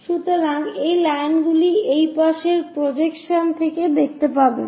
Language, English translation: Bengali, So, these are the lines what one will see in this projection from the side views